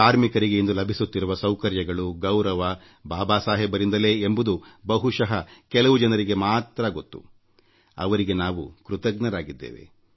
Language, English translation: Kannada, You would be aware that for the facilities and respect that workers have earned, we are grateful to Babasaheb